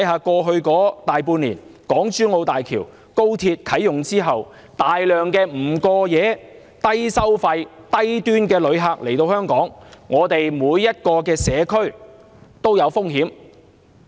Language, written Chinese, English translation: Cantonese, 過去大半年，港珠澳大橋和高鐵啟用後，大量不過夜、低消費、低端旅客來港，每個社區都受到影響。, For more than half a year since the commissioning of the Hong Kong - Zhuhai - Macao Bridge and Express Rail Link a large number of non - overnight low - spending low - end visitors have come to Hong Kong and affected every community